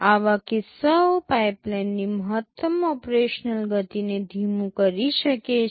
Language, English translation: Gujarati, Such cases can slow down the maximum operational speed of a pipeline